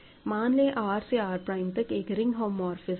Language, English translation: Hindi, Let us say R to R prime is a ring homomorphism